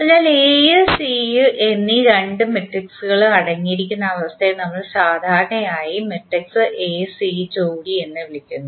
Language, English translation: Malayalam, So, the condition that is containing A and C both matrices, we generally call it as the pair that is A, C is also observable